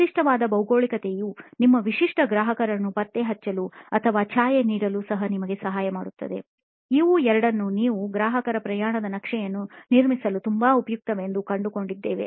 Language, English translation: Kannada, A geography very specific geography can also help you with tracking down or shadowing your typical customer, these two are something that I found to be very useful in constructing a customer journey map